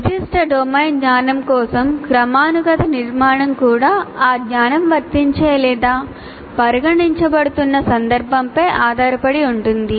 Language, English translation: Telugu, And also the hierarchical structure for a particular domain knowledge also depends on the context in which that knowledge is being applied or considered